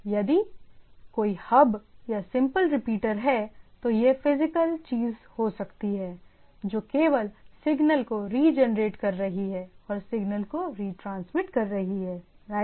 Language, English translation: Hindi, If there is a hub or simple repeater, then it could have been the physical thing which is only regenerating the signal and transmitting the signal right